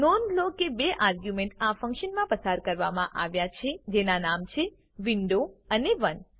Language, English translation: Gujarati, Note that two arguments are passed to this function namely the window and 1